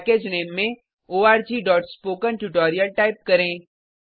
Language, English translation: Hindi, Type the Package Name as org.spokentutorial Then click on Next